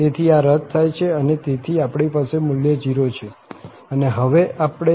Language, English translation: Gujarati, So, this gets cancel and therefore, we have this value 0 and we can simplify now, the first one